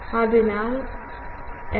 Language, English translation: Malayalam, So, we know f